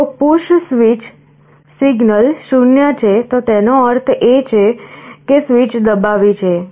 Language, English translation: Gujarati, If the push switch signal is 0, it means switch has been pressed